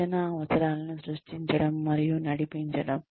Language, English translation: Telugu, Creation and sustenance of training needs